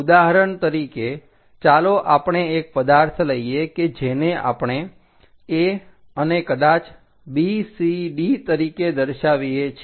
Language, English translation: Gujarati, For example, let us consider an object which we are showing a, maybe b, c, d